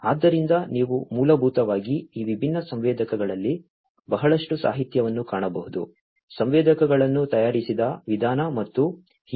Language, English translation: Kannada, So, you could basically find lot of literature on these different sensors, the way the sensors are made and so on